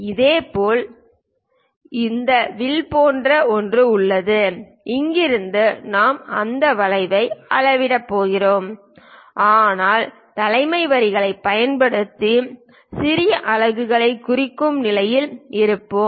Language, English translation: Tamil, Similarly, something like this arc is there and from here we are going to measure that arc, but using leader lines we will be in a position to represent the small units